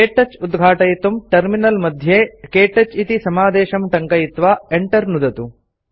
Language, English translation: Sanskrit, To open KTouch, in the Terminal, type the command: ktouch and press Enter